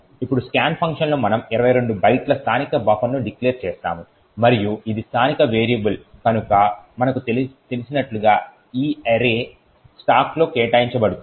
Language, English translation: Telugu, Now in the scan function we declare a local buffer of 22 bytes and as we know since it is a local variable this array is allocated in the stack